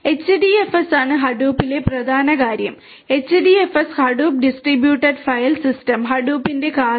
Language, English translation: Malayalam, The HDFS is the central thing in Hadoop HDFS Hadoop Distributed File System is the core of Hadoop